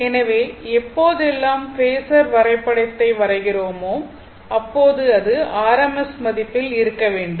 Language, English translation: Tamil, So, whenever you will draw phasor diagram, it should be in rms value